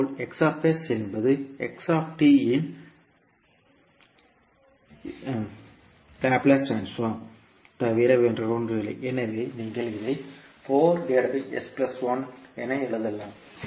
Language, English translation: Tamil, Similarly sX is nothing but Laplace transform of xt so you can simply write it as four upon s plus one